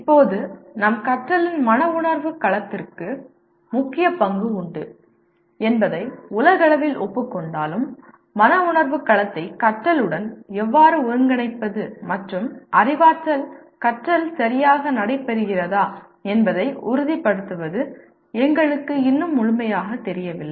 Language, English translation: Tamil, Now, in this while it is universally acknowledged that affective domain has a major role to play in our learning but, we still do not know completely how to integrate the affective domain into learning and make sure that the cognitive learning takes place properly